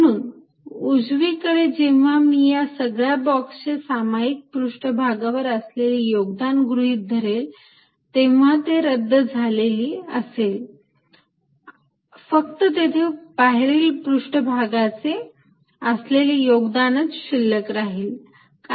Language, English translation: Marathi, So, that the right hand part when I add over all boxes contribution from common surfaces will cancel with the result that the only contribute remain will be only from outside surfaces